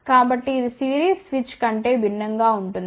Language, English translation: Telugu, So, this is different than series switch ok